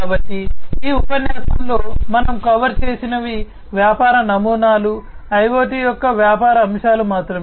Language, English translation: Telugu, So, far in this lecture, what we have covered are only the business models, the business aspects of IoT